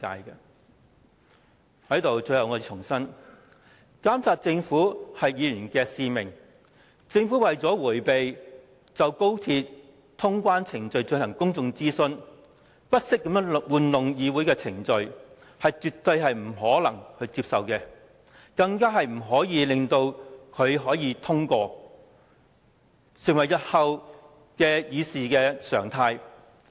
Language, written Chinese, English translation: Cantonese, 最後我想重申，監督政府是議員的使命，政府為了迴避就高鐵通關程序進行公眾諮詢，不惜操弄議會程序，絕對不能接受，更不應該讓這項休會待續議案通過，以防成為日後的議事常態。, Lastly I would like to reiterate that it is Members mission to monitor the Government . It is absolutely unacceptable for the Government to manipulate the proceedings of the Council with a view to avoiding public consultation on the customs clearance arrangements of XRL . Furthermore we should not allow the adjournment motion to pass lest this should become a normal practice in the Councils proceedings